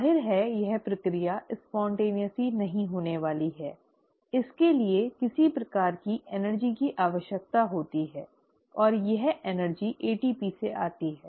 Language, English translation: Hindi, Obviously this process is not going to happen spontaneously, it does require some sort of energy and this energy comes from ATP